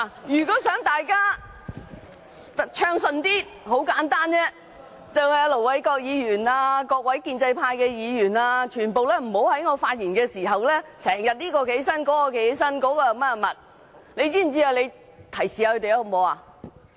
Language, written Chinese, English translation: Cantonese, 如果大家想議會較為暢順，很簡單，就是請盧偉國議員和各位建制派議員不要在我發言時不時站起來發言，代理主席，你提示一下他們，好嗎？, Laughter If Members want the meeting to be conducted smoothly simply ask Ir Dr LO Wai - kwok and other pro - establishment Members not to rise to speak when I am giving a speech . Deputy President will you give them a reminder?